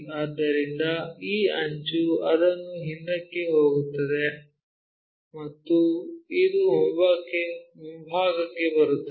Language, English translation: Kannada, So, that this edge goes it back and this one comes front